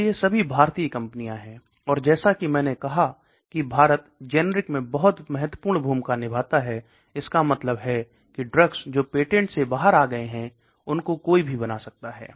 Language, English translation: Hindi, So all these are Indian companies, and as I said India plays a very important role in generics that means drugs which have come out of the patent regime which anybody can make